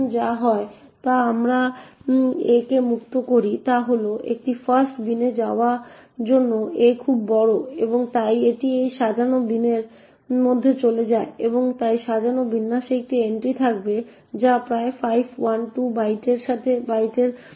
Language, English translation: Bengali, Now what happens when we free a is that a is too large to go into a fast bin and therefore it goes into this unsorted bin and therefore the unsorted bin would have an entry which corresponds to the chunk of approximately 512 bytes